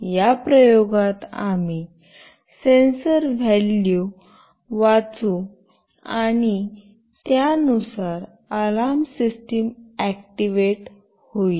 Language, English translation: Marathi, In this experiment, we will read the sensor values and depending on that an alarm system will be activated